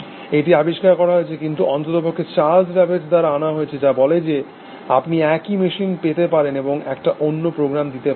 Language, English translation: Bengali, It is discovered, not quite discovered, but at least, brought forward by Charles Babbage which says that, you can have a same machine, and you can put in a different program